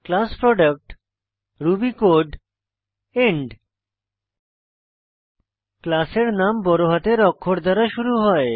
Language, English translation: Bengali, class Product ruby code end The name of the class must begin with a capital letter